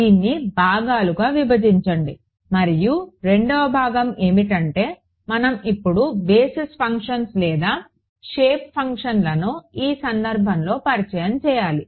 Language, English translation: Telugu, Break it up into segments and the second part is we have to now introduce the basis functions or the shape functions in this case ok